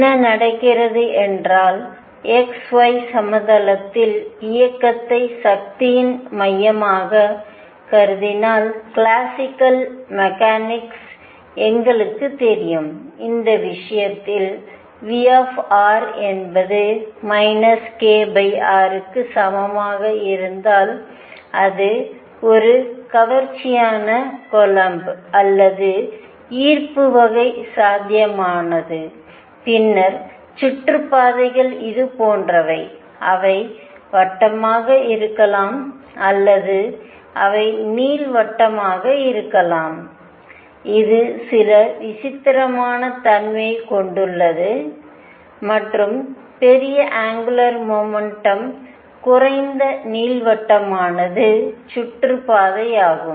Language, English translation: Tamil, What is happening is that if you consider the motion in the x y plane with centre of force, we know from classical mechanics that in this case if V r is equal to minus k over r that is it is an attractive coulomb or gravitation kind of potential, then the orbits are like this either they could be circular or they could be elliptical and this has some eccentricity and larger the angular momentum less elliptical is the orbit